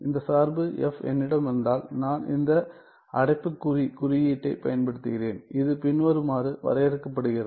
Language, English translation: Tamil, If I have this function f and I am using this bracket notation and this is defined as follows